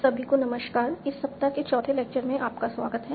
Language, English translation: Hindi, So, hello everyone back to the fourth lecture of this week